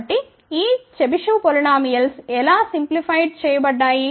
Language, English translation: Telugu, So, how these Chebyshev polynomials are simplified